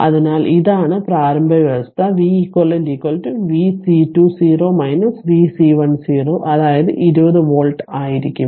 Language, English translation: Malayalam, So, this is the initial condition therefore, v c eq will be v c 2 0 minus v c 1 0 that is 20 volt